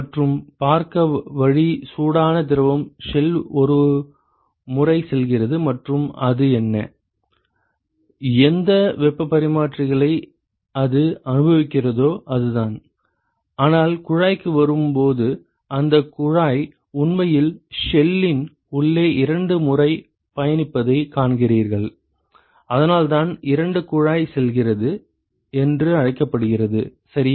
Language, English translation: Tamil, And the way to see that is the hot fluid goes through the shell once and whatever it; whatever heat exchangers it experiences that is it, but then when it comes to the tube you see that the tube actually travels twice inside the inside the shell and that is why it is called the two tube passes ok